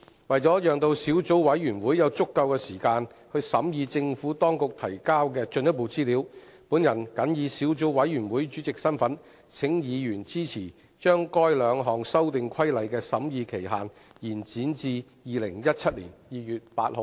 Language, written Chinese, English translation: Cantonese, 為了讓小組委員會有足夠時間審議政府當局提交的進一步資料，本人謹以小組委員會主席身份，請議員支持將該兩項修訂規例的審議期限，延展至2017年2月8日。, In order to allow sufficient time for the Subcommittee to scrutinize the further information provided by the Administration I call upon Members in my capacity as Chairman of the Subcommittee to support the extension of the scrutiny period for these two amendment regulations to 8 February 2017